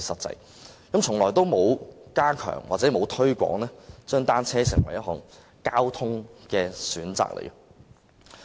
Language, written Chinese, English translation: Cantonese, 政府從來沒有加強或推廣將單車作為一項交通工具的選擇。, The Government has never stepped up publicity or promoted bicycles as an option of transport